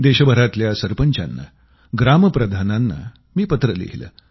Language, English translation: Marathi, I wrote a letter to the Sarpanchs and Gram Pradhans across the country